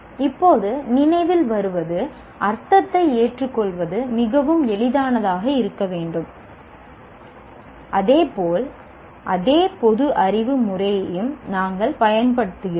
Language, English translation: Tamil, Now coming to remember, it should be fairly easy to accept the meaning as well as it's also we use it in the same common sensical manner